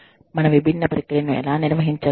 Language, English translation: Telugu, How do we carry out, our different processes